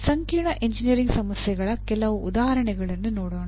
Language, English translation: Kannada, Some examples of complex engineering problems